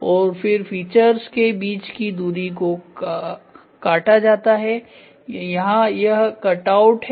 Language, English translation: Hindi, And then cut off and distance between features so, the this is also there cut outs ok